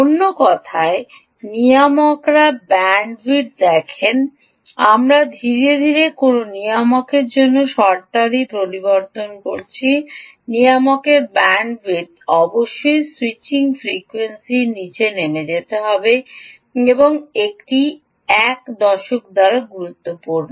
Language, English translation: Bengali, see, we are slowly introducing terms for a regulator, the regulators bandwidth must fall below the, must fall below the switching frequency, and that is important by a decade